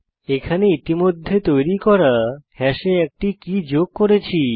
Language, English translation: Bengali, Here we are adding a key to an already created hash